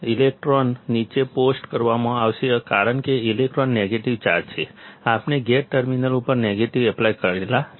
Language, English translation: Gujarati, The electrons, will be post down because electron is negatively charged; we applied negative to the gate terminal